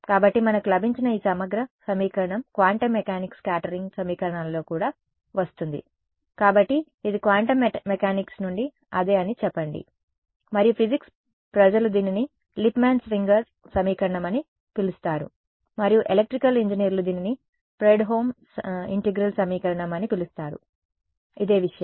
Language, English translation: Telugu, So, this integral equation that we got comes in quantum mechanics scattering equations also; so, say this is the same Born from quantum mechanics and the physics people call it Lippmann Schwinger equation and electrical engineers call it Fredholm integral equation this is the same thing